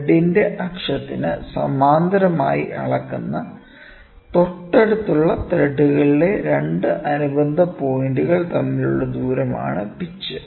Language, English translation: Malayalam, Pitch is the distance between 2 corresponding points on adjacent threads measured parallel to the axis of thread